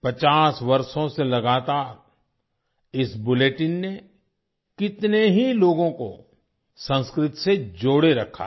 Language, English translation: Hindi, For 50 years, this bulletin has kept so many people connected to Sanskrit